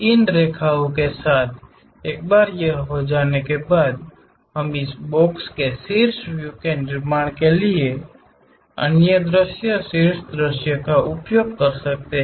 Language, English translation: Hindi, Along with these lines, once it is done we can use the other view top view to construct top side of this box